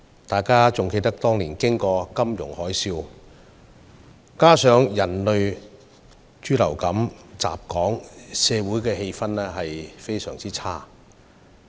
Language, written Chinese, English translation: Cantonese, 大家應該還記得當年香港經歷金融海嘯，再加上人類豬流感襲港，社會氣氛相當差。, We should still remember that Hong Kong experienced the financial tsunami back then and coupled with the human swine influenza pandemic resulting in a negative social sentiment